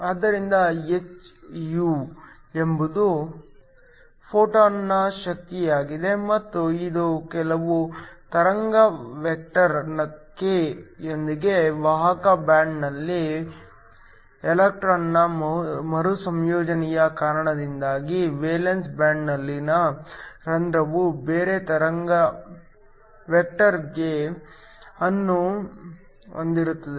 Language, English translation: Kannada, So, hυ is the energy of the photon and this is because of recombination of an electron in the conduction band with some wave vector k, with the hole in the valence band having a some other wave vector k